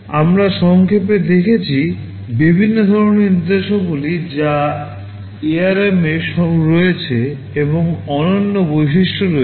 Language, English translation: Bengali, We have seen in a nutshell, the various kinds of instructions that are there in ARM and the unique features